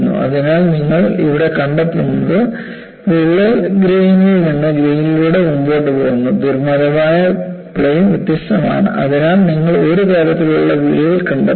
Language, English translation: Malayalam, So, what you find here is, the crack advances grain by grain and the weak planes are different; so, you find a faceted type of crack